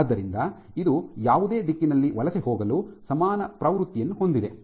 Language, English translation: Kannada, So, it has equal propensity to migrate in any direction